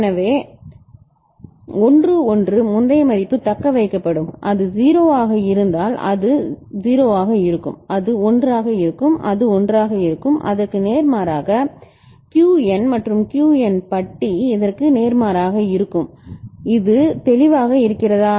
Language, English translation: Tamil, So, 1 1 the previous value will be retained; if it is 0 it will be 0 it will be it 1 it will remain 1 and vice versa I mean, the Qn and Qn bar will be just the opposite is it clear